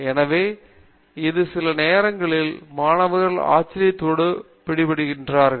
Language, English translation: Tamil, So, this is something that sometimes students are caught by surprise